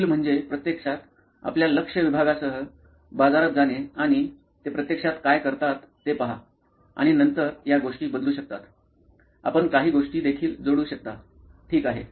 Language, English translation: Marathi, The next is to actually go into the market with your target segment and see what do they actually do and then these things may change, you may add a few things also, ok